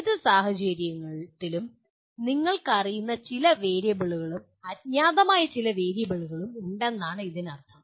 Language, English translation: Malayalam, That means in any situation you have some known variables and some unknown variables